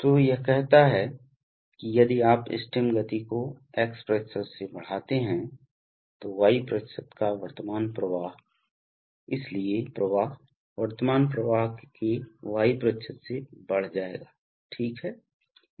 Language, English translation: Hindi, So, it says that if you increase the stem movement by x% then y% the, of the current flow, will, so the flow will increase by y% of the current flow, right